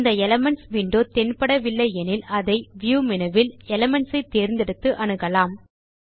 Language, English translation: Tamil, If you dont see the Elements window, we can access it by clicking on the View menu and then choosing Elements